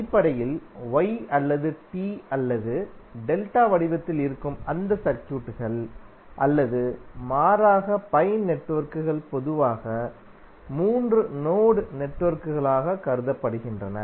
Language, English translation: Tamil, Basically, those circuits which are in the form of Y or t or delta or alternatively you could pi networks are generally considered as 3 terminal networks